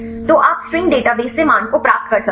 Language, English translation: Hindi, So, you can have the value from the string database right